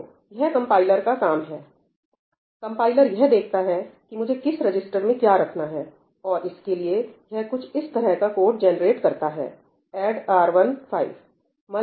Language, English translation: Hindi, Look, this is the work of the compiler, the compiler figures out that what am I supposed to keep in what register; and it generates code of this sort ‘add R1, 5’, ‘mul R1, 10’